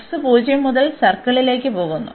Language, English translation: Malayalam, So, for x it goes from 0 to the circle